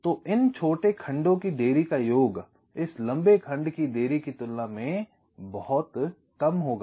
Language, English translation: Hindi, so this sum of the delays of these shorter segments will be much less then the delay of this long segment if you have a single segment